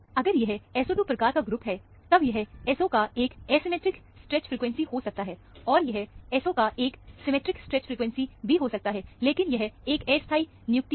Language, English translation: Hindi, If it is a SO 2 kind of a group, this could be an asymmetric stretch frequency of the SO, and this could be a symmetric stretch frequency of the SO; but, that is a very tentative assignment